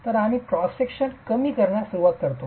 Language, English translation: Marathi, So we start reducing the cross sections